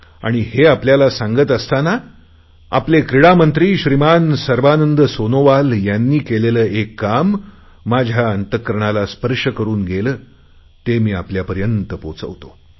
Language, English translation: Marathi, And as I speak, I would like to mention our Sports Minister Shri Sarbanand Sonowal for a gesture that has touched my heart